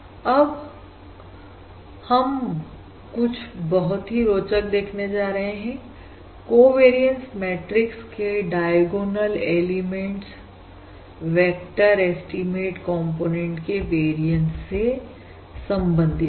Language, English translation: Hindi, And now also realise something interesting: that diagonal elements of the covariance matrix correspond to the variances of the components of the vector estimate